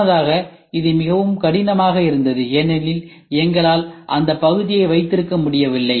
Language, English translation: Tamil, Earlier it was very difficult because we could not hold the part